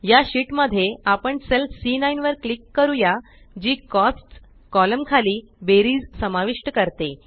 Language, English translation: Marathi, In this sheet, we will click on the cell C9 which contains the total under the column Cost